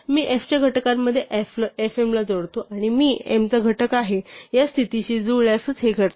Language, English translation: Marathi, So, the step append i to fm the factors of m this happens only if i matches the condition that it is a factor of m